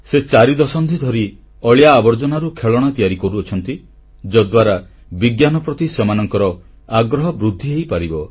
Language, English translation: Odia, He has been making toys from garbage for over four decades so that children can increase their curiosity towards science